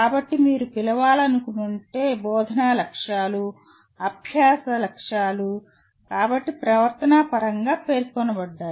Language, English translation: Telugu, So instructional objectives are learning objectives if you want to call so are stated in terms of behavioral terms